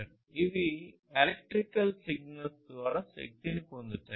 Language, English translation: Telugu, These are powered by electrical signals